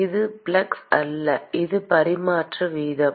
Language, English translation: Tamil, It is not flux; it is transfer rate